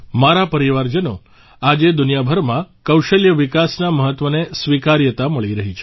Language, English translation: Gujarati, My family members, nowadays the importance of skill development is finding acceptance all over the world